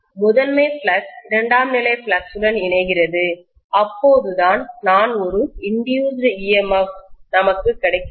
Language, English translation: Tamil, The primary flux is linking with the secondary, only then I am going to have an induced EMF